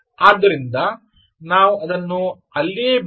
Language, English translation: Kannada, so lets leave it there all right